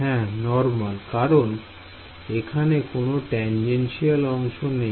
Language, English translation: Bengali, Normal right; it is purely normal there is no tangential component ok